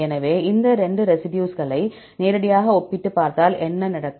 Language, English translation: Tamil, So, directly if you compare these 2 residues right what will happen